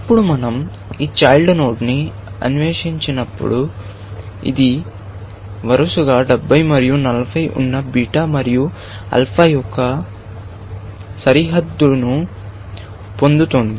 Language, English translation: Telugu, Now, when we explore this child, it is getting the bound of, beta is 70 and alpha is 40